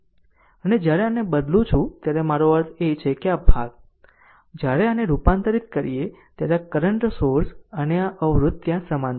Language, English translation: Gujarati, And when you convert this one, I mean this portion, when you convert this one, your this current source and one resistor is there in parallel